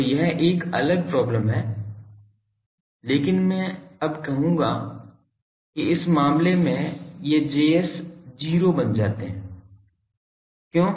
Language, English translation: Hindi, So, that is a different problem, but I will now say that in this case these Js value become 0